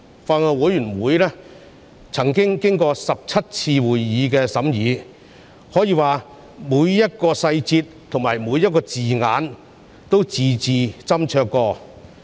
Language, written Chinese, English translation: Cantonese, 法案委員會曾召開17次會議進行審議，可說每個細節及字眼均字字斟酌。, The Bills Committee has held 17 meetings to conduct the scrutiny . It can be said that each and every detail and word have been considered carefully